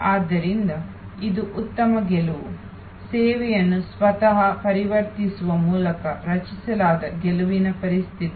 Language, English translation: Kannada, So, it is a good win, win situation created by transforming the service itself